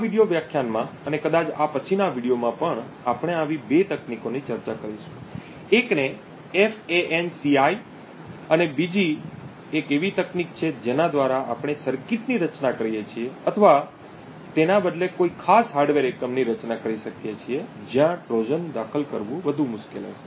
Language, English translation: Gujarati, In this video lecture and perhaps the next as well we would discuss two such techniques, one is known as FANCI and the other one is a technique by which we could design a circuit or rather design a particular hardware unit where inserting a Trojan would be considerably more difficult